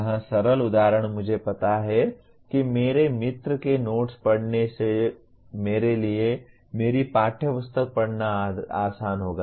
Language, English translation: Hindi, Here simple example is I know that reading the notes of my friend will be easier for me than reading my textbook